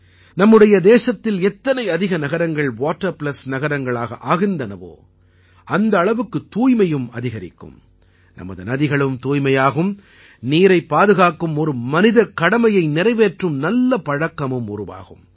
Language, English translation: Tamil, The greater the number of cities which are 'Water Plus City' in our country, cleanliness will increase further, our rivers will also become clean and we will be fulfilling values associated with humane responsibility of conserving water